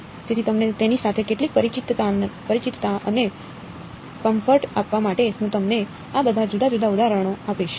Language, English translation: Gujarati, So, to give you some familiarity and comfort with it, I will give you all of these different examples alright